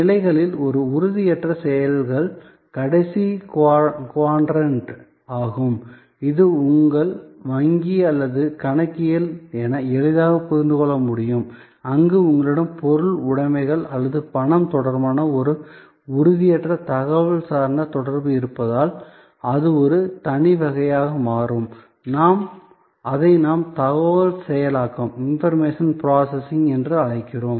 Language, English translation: Tamil, A last quadrant is the one where intangible actions on positions, so this can be easily understood as your banking or accounting, where there is an intangible information oriented interaction related to material possessions or money that you have and therefore, that becomes a separate category, which we call information processing